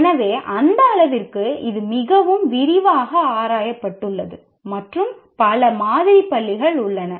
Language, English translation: Tamil, So to that extent, it has been explored in great detail and so many schools of thought exist